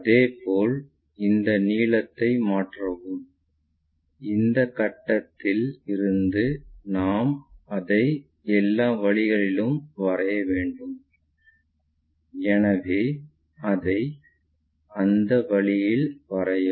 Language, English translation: Tamil, Similarly, transfer this length, because it is projecting onto a thing here something like that, that we have to project it all the way from this point so, project it in that way